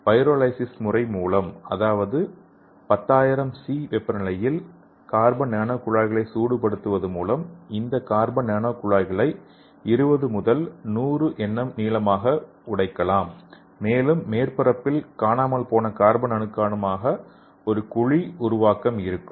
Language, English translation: Tamil, Here we can use this single walled carbon nano tubes okay which are usually 1000nano meter long and by pyrolysis that means you are treating this carbon nano tubes at 10000 C this carbon nano tubes can be broken into 20 to 100 nm long and due to pyrolysis there will be a pit formation so that is a missing carbon atoms on the surface